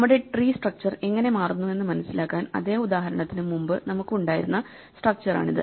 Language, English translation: Malayalam, Just to understand how our tree structure changes this is the structure that we had before the same example